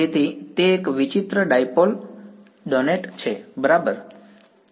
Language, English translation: Gujarati, So, it is a weird dipole weird donut ok